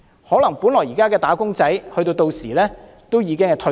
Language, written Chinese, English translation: Cantonese, 可能現時的"打工仔"屆時已經退休。, Probably todays wage earners will have already gone into retirement by then